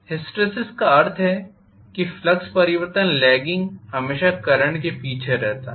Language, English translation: Hindi, Hysteresis means lagging behind the flux change always lags behind the current